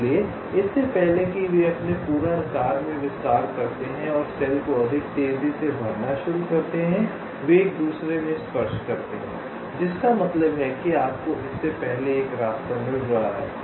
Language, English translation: Hindi, so before the expand to their full size and start filling up cells much more rapidly, they ah touch in each other, which means you are getting a path much before that